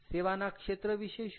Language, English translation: Gujarati, ok, what about service